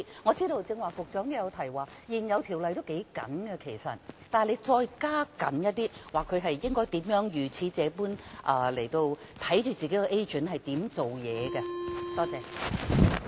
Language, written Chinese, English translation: Cantonese, 我知道局長剛才也有提及，現有條例已經頗緊，但可否再收緊一點，規定放債人監察他們的 agent 如何辦事呢？, I know the Secretary has mentioned earlier that the existing legislation is quite stringent yet is it possible to tighten it further by requiring money lenders to monitor the operation of their agents?